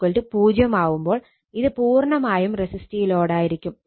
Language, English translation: Malayalam, If X is equal to 0, then it is purely resistive load